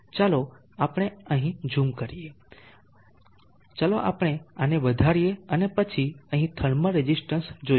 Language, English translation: Gujarati, Let us zoom in here, let us magnify this and then look at the thermal resistance here